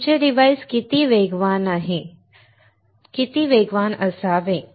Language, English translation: Marathi, How fast your device should be